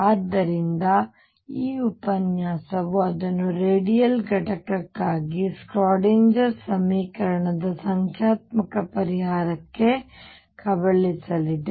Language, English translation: Kannada, So, this lecture is going to be devour it to numerical solution of the Schrödinger equation for the radial component of psi